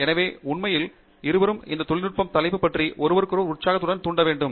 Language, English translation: Tamil, So, actually both of us have to really spur excitement in each other about that technical topic